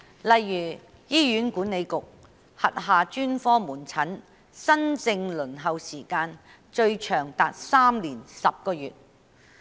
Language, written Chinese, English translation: Cantonese, 例如，醫院管理局轄下專科門診新症輪候時間最長達3年10個月。, For instance the longest waiting time for new case booking at the specialist outpatient clinics under the Hospital Authority HA is as long as three years and ten months